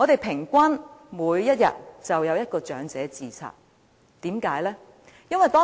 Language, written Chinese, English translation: Cantonese, 平均每天便有一名長者自殺，為甚麼呢？, Each day one elderly person commits suicide on average . Why?